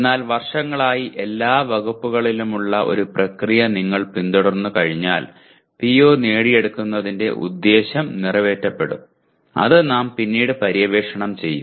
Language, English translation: Malayalam, But once you follow one process over years and across all departments, the purpose of computing PO attainment will be served which we will explore later